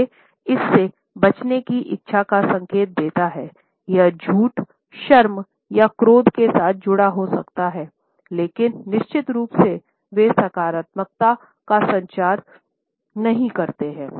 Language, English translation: Hindi, These indicate a desire to avoid it may be associated with a lie, it may be associated with anger, it may be associated with feeling shame faced in a situation, but definitely, they do not communicate a positivity